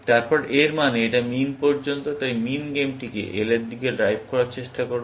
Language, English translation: Bengali, Then, it means, it up to min; so, min will try to drive the game towards L